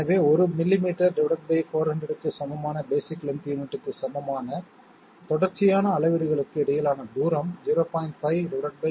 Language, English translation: Tamil, Therefore, distance between successive readings equal to basic length unit equal to 1 millimetre by 400 that means 0